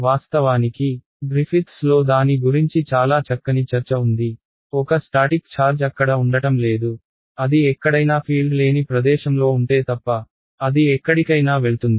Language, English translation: Telugu, In fact, Griffiths has a very nice discussion about it a static charge is not going to sit there it will fly off somewhere over the other, unless it is in the place where there is no fields whatsoever sitting there forever